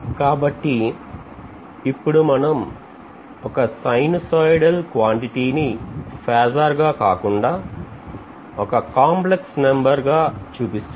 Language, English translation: Telugu, So we are essentially now diversifying from mentioning a sinusoidal quantity as a phasor to indicating that as a complex number